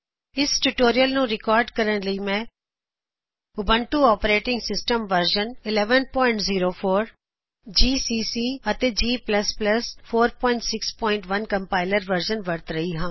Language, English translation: Punjabi, To record this tutorial, I am using Ubuntu Operating System version 11.04 gcc and g++ Compiler version 4.6.1 on Ubuntu